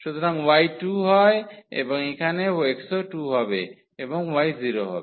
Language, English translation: Bengali, So, y is 2 and here the x will be 2 and y is 0